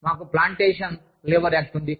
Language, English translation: Telugu, We have the, Plantation Labor Act